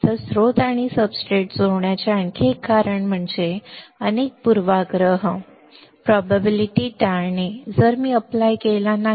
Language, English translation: Marathi, So, another reason of connecting source and substrate is to avoid to many bias potential, that if I do not apply